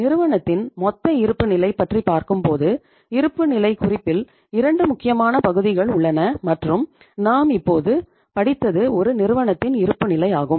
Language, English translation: Tamil, If you talk about the total balance sheet of the firm, we would say that there are 2 important parts of the balance sheet and in this case I would say that here is the balance sheet of a company